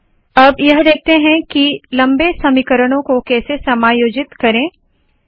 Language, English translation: Hindi, We will now see how to accommodate long equations